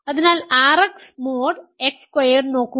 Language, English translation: Malayalam, So, look at R X mod X squared ok